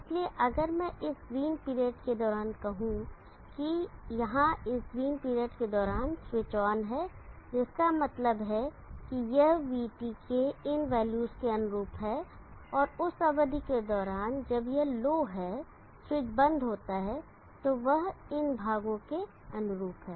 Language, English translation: Hindi, So if you see the VT swings between these two lines as shown, so if I say during this period green during the green period here the switch is on which means it will be corresponds to this values of VT and during the period when it is low switch is off it will corresponds to this portions